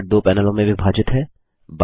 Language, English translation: Hindi, Thunderbird is divided into two panels